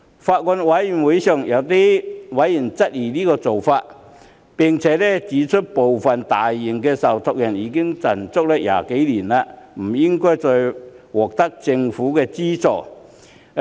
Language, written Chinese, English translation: Cantonese, 法案委員會上有委員質疑這個做法，並指出部分較大型的受託人已經賺了20年，不應再獲得政府資助。, Some members of the Bills Committee queried about this and pointed out that some trustees of a larger scale had been earning profits for 20 years so they should not receive government subsidies anymore